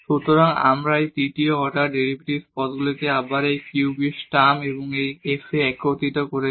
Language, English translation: Bengali, So, we have combined this again these third order derivatives terms as well in this cubed term and this f at this point